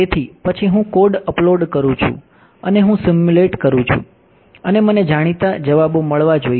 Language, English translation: Gujarati, So, then I code up and I simulate and I should get the known answer